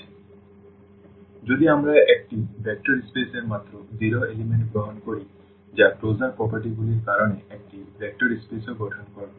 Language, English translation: Bengali, So, if we take just the 0 element of a vector space that will form also a vector space because of the closure properties